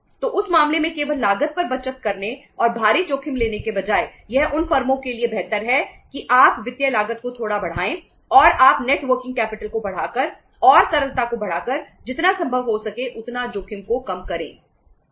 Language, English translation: Hindi, So in that case rather than means saving only upon the cost and taking huge risk it is better for the firms that you increase the financial cost little bit and you minimize the risk to the extent it is possible by increasing the net working capital and by increasing the liquidity right